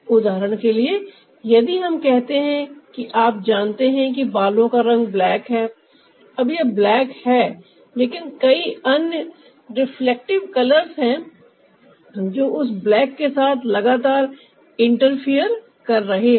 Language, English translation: Hindi, for example, if we say that, ah, you know, the ah hair color is black, no, its black, but there are lots of other reflective colors that are constantly interfering that black